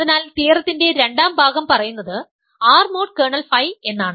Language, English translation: Malayalam, So, second part of the theorem said that R mod kernel phi